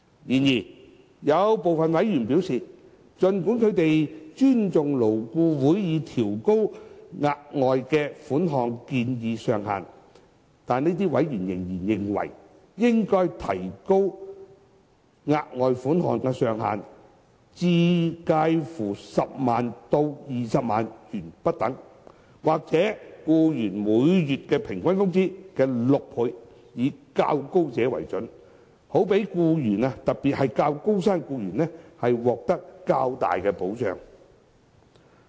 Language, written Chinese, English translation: Cantonese, 然而，有部分委員表示，儘管他們尊重勞顧會已調高額外款項的建議上限，這些委員仍然認為，應提高額外款項的上限至介乎10萬元至20萬元，或僱員每月平均工資的6倍，以較高者為準，好讓僱員，特別是較高薪的僱員，獲得較大保障。, However despite their respect for LABs suggestion on raising the ceiling of the further sum some members have maintained the view that the ceiling of the further sum should be increased to somewhere between 100,000 to 200,000 or six times the average monthly wages of employees whichever is the higher in order to provide better protection for employees in particular high - salaried employees